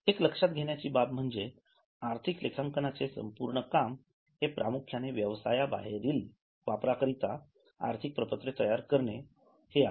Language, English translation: Marathi, Keep in mind that the whole exercise of financial accounting is mainly for preparation of financial statements which are intended for external users